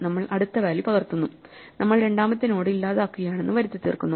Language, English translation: Malayalam, So, we copy the second value into the first value and we delete the next node by bypassing